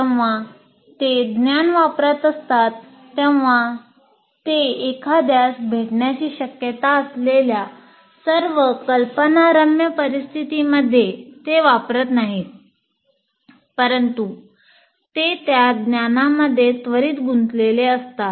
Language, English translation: Marathi, As we said, when they're applying the knowledge, they are not applying it to all conceivable situations that one is likely to encounter, but is immediately getting engaged with that knowledge